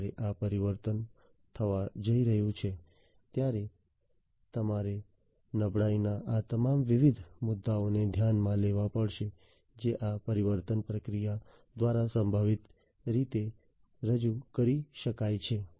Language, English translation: Gujarati, So, now, when this transformation is going to take place you have to take into account all these different points of vulnerability that can be potentially introduced through this transformation process